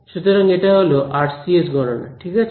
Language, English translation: Bengali, So, this is RCS calculations ok